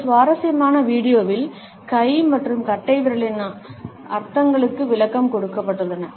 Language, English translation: Tamil, In this interesting video, we find that an explanation of the meanings of hand and thumbs is given